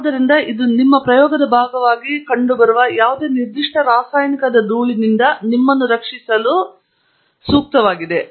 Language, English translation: Kannada, So, it is a much more elaborate and, you know, designed device to protect you from dust of any particular chemical that may be present as part of your experiment